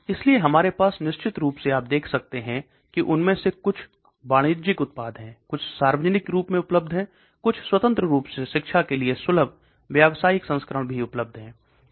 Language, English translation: Hindi, So we have of course as you can see some of them are commercial products, some are publicly available, freely accessible for academia, commercial versions also available